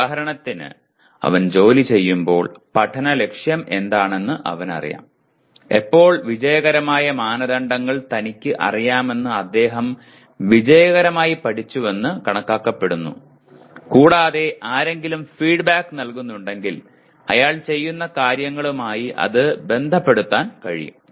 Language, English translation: Malayalam, For example when he is working he knows what the learning goal is and when is he considered to have successfully learnt that success criteria he is aware of and also if somebody is giving feedback he can relate it to what he was doing